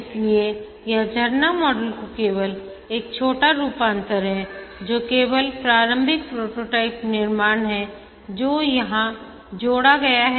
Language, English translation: Hindi, So, it's a small variation of the waterfall model, only the initial prototype construction that is added here